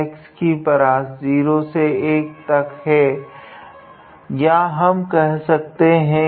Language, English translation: Hindi, So, the range for the x is 0 to 1 or what we can do